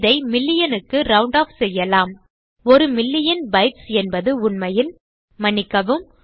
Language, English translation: Tamil, Now lets say we round this off to about a million a million bytes is in fact a...., Sorry, a million bits is a megabyte